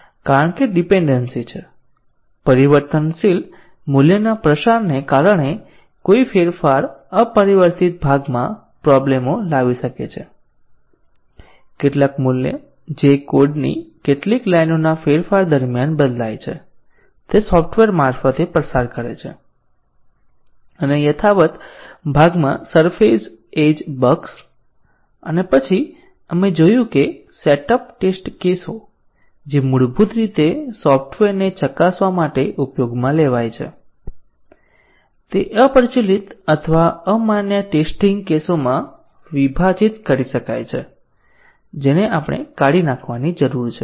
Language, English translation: Gujarati, The reason is the dependency, a change may induce problems in the unchanged part because of the variable value propagation, some value which is changed in the during change of the some few lines of code propagate through the software and surface edge bugs in the unchanged part, and then we had seen that the set up test cases which are originally used to test the software they can be partitioned into the obsolete or invalid test cases, which we need to discard